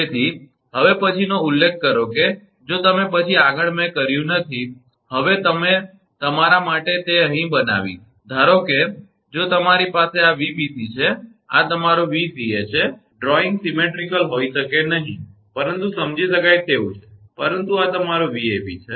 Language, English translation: Gujarati, Now, next mention that then if, you then further I have not done, I will make it here for you now, suppose if you have you have this is Vbc, this is your Vca, drawing may not be symmetrical, but understandable, but this is your Vab right